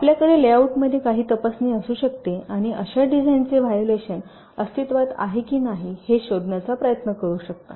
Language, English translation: Marathi, so you can have some inspection in the layout and try to find out whether such design violations do exists or not